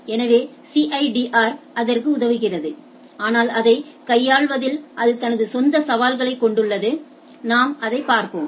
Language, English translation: Tamil, So, CIDR helps it in that, but it brings its own challenges in handling those that we will see